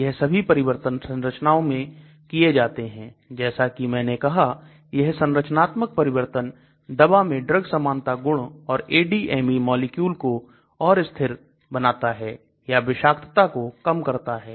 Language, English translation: Hindi, These modifications are done in the structures as I said to improve the drug likeness property or to improve ADME or to make the molecule more stable or reduce toxicity and so on